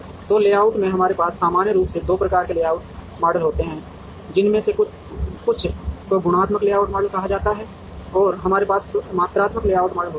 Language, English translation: Hindi, So, in layout we normally have 2 types of layout models, some of which are called qualitative layout models and we have quantitative layout models